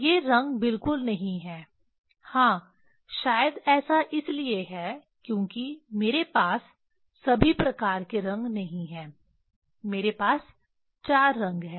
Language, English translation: Hindi, These are not the color exactly yeah maybe it is because I did not have all sorts of color, I have 4 colors